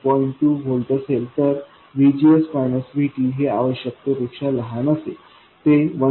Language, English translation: Marathi, 2 volts, VGS minus VT is smaller than what is required, it is 1